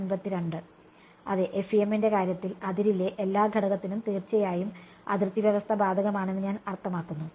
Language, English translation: Malayalam, Yeah in the case of FEM your, I mean the boundary condition applies to every element on the boundary obviously